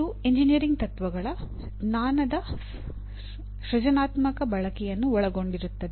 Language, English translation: Kannada, Involve creative use of knowledge of engineering principles